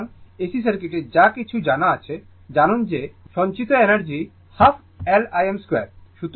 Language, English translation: Bengali, So, whatever we know that in an AC circuit, we know that energy stored is half L I m square